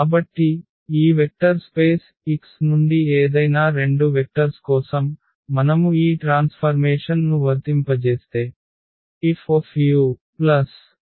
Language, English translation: Telugu, For any two vectors u and v from this vector space X, if we apply this transformation F on u plus v this should be equal to F u and plus F v